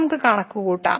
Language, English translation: Malayalam, Let us compute